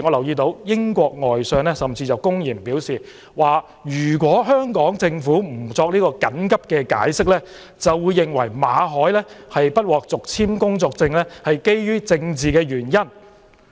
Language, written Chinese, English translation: Cantonese, 英國外相甚至公然表示，如果香港政府不作緊急解釋，便會認為馬凱不獲續簽工作簽證是基於政治原因。, The British Foreign Secretary even blatantly indicated that if the Hong Kong Government failed to provide an urgent explanation he would consider that the refusal to renew the work visa of Victor MALLET was attributed to political reasons